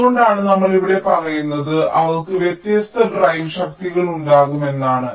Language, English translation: Malayalam, thats why we say here is that they can have different drive strengths